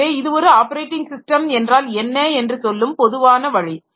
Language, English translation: Tamil, So, that defines what is an operating system